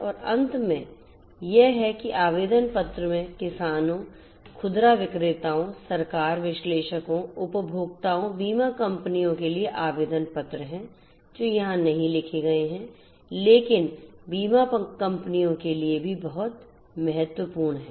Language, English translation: Hindi, And finally, that the application layer to have applications for farmers, retailers, government, analysis, consumers, insurance companies which have not written over here but very important for insurance companies also it is very important